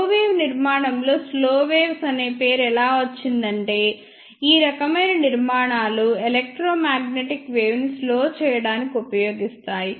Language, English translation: Telugu, In the slow wave structure, the name slow waves comes from the fact that these type of structures are used to slow down the electromagnetic wave